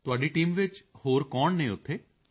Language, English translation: Punjabi, Who else is there in your team